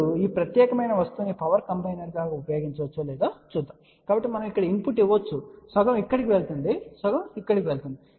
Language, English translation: Telugu, Now let us see whether this particular thing can be use as a power combiner, so we can give input here half goes here half goes here